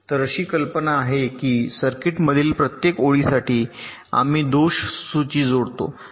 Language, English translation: Marathi, so the concept is that for every line in the circuit we associate a fault list